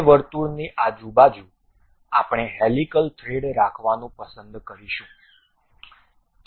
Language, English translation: Gujarati, Around that circle we would like to have a helical thread